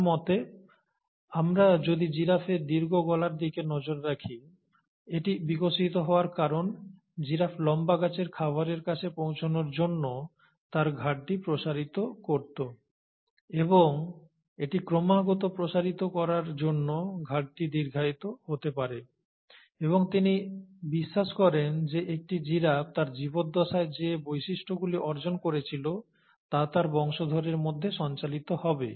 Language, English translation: Bengali, According to him, if we look at the long necks of giraffe, it would have developed because the giraffe would have stretched its neck to reach to the food at tall trees and it's constant stretching would have led to the elongation of the neck and he believed that whatever features were acquired by a giraffe in its lifetime would be passed on to his progeny